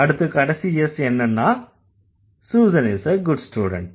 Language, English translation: Tamil, And then the last S, which is Susan is a good student